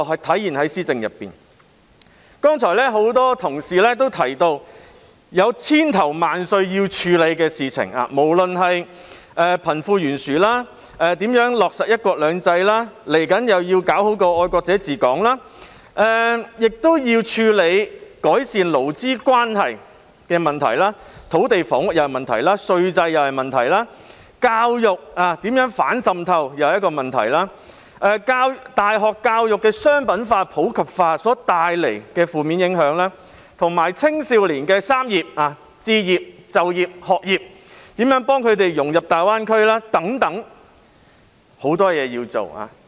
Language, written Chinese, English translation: Cantonese, 剛才很多同事提到需要處理的事情千頭萬緒：貧富懸殊，如何落實"一國兩制"，未來需要做到的愛國者治港，改善勞資關係問題、土地房屋問題、稅制問題，如何進行反滲透教育，大學教育商品化、普及化所帶來的負面影響，青少年的"三業"問題：置業、就業、學業，以及如何幫助他們融入大灣區等。, A number of Honourable colleagues have just mentioned that there is a plethora of matters that need to be addressed the wide disparity between rich and poor how to implement one country two systems the need to implement the principle of patriots administering Hong Kong in the future the issue of improving labour relations the land and housing problems the problems with our tax regime how to carry out education of anti - infiltration the negative impact brought by the commoditization and massification of university education the three concerns of young people―education career pursuit and home ownership―and how to help them to integrate into the Greater Bay Area and all that